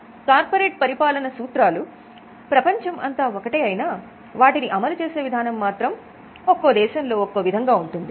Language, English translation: Telugu, Although the corporate governance principles are global in nature, different things are given emphasis in different parts of world